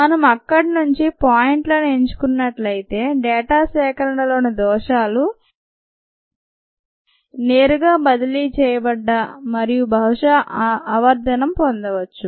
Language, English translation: Telugu, if we just pic points from there, the errors in the data collection would directly get transferred and ah probably get magnified